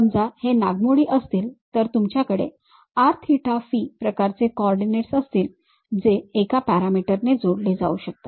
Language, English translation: Marathi, If it is something like a spiral you have r theta phi kind of coordinates which can be connected by one single parameter